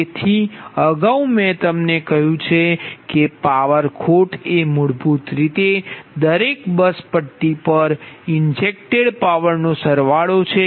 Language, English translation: Gujarati, so earlier i have told you that power loss is basically, it is sum of the ah power injected at every bus bar